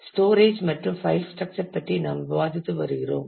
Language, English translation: Tamil, We have been discussing about storage and file structure